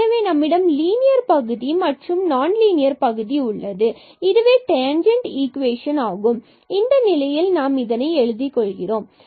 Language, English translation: Tamil, So, we have this linear term plus this non linear term and this is the equation of the tangent which we have written down in this case